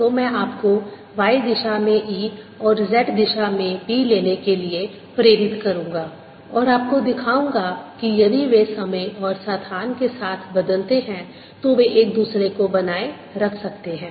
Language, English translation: Hindi, so i am going to motivate you by taking e in the y direction and b in the z direction and show you that if they vary with time and space, they can sustain each other